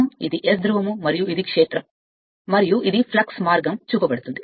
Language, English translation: Telugu, These are your and this is your S pole that a field right and this is the flux path is shown